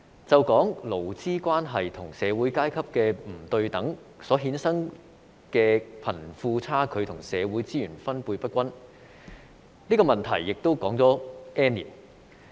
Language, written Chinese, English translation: Cantonese, 就說勞資關係和社會階級的不對等所衍生的貧富差距和社會資源分配不均，這個問題也說了 "N 年"。, Taking as an example the disparity between the rich and the poor and uneven distribution of social resources arising from inequalities in labour relations and social classes these problems have been under discussion for many years